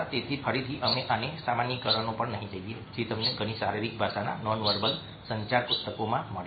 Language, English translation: Gujarati, so again, we will not go this over generalizations which you find in many of the body language non verbal communication books